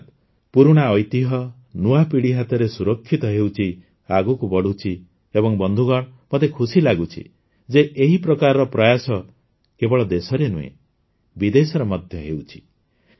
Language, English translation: Odia, That is, the old heritage is being protected in the hands of the new generation, is moving forward and friends, I am happy that such efforts are being made not only in the country but also abroad